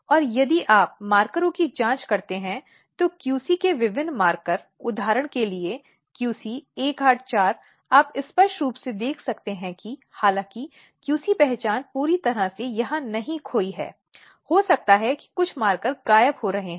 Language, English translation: Hindi, And if you check the markers, different markers of the QC, for example, QC 184, you can clearly see that though QC identity is not completely lost here, there might be maybe some of the markers are disappearing